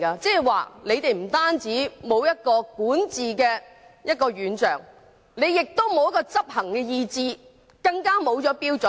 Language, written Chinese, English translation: Cantonese, 這表示政府不單沒有管治的願景，更沒有執行的意志和標準。, This shows that the Government does not only lack a vision of governance but also the determination and standard to govern